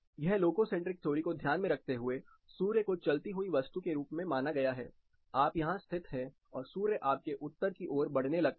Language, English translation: Hindi, This is considering a loco centric theory with sun as a moving body, you are located here and sun starts moving towards your north